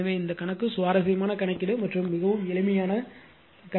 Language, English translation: Tamil, So, this problem is interesting problem and very simple problem